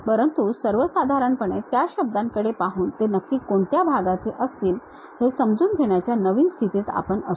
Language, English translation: Marathi, But in general, by looking at those words we will be in new position to really sense which part it really belongs to